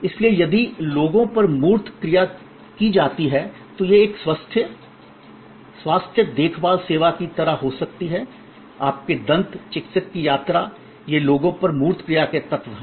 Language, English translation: Hindi, So, if tangible actions are performed on people, then it could be like a health care service, your visit to your dentist, these are elements of tangible actions on people